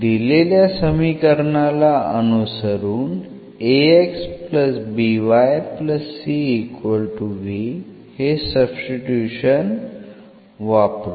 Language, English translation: Marathi, So, we can substitute now in our equation here